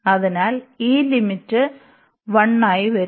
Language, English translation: Malayalam, So, this limit will be coming as 1